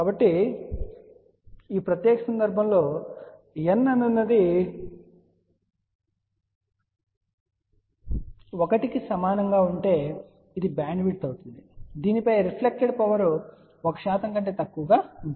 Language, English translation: Telugu, So, you can see that in this particular case for n equal to 1, this will be the bandwidth over which reflected power will be less than 1 percent